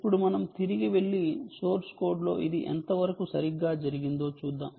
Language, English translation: Telugu, ok, now let us go back and see what exactly how exactly this is done in source code